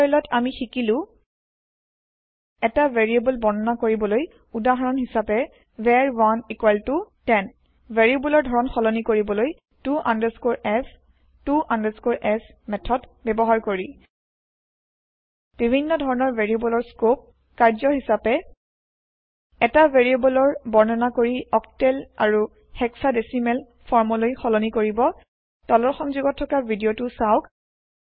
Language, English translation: Assamese, Let us summarises In this tutorial we have learnt To declare a variable eg var1=10 Changing variable type using to f, to s methods Different Variable scope As an assignment Declare a variable and convert it to octal and hexadecimal form Watch the video available at the following link